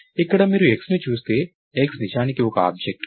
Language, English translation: Telugu, Here if you look at x, x is actually an object, right